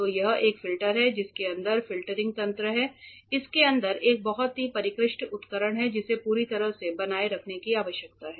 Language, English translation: Hindi, So, this is a filter there is filtering mechanism inside it is a very sophisticated equipment which needs to be maintained thoroughly